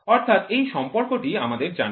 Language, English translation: Bengali, So, this relationship is known